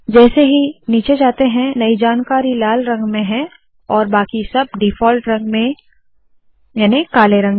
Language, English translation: Hindi, As I go down you see that the latest information is in red all others are in the default color namely black